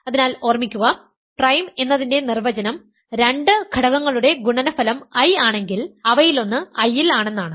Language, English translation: Malayalam, So, definition of remember prime means if a product of two elements is an I 1 of them is an I